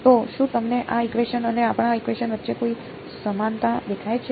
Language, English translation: Gujarati, So, do you see any similarity between this equation and our equation